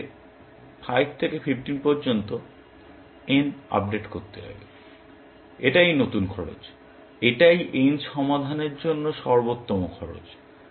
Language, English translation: Bengali, I need to update n from 5 to 15, that is the new cost; that is the best cost for solving n